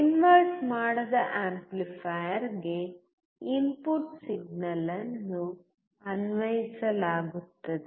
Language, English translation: Kannada, Input signal is applied to the non inverting amplifier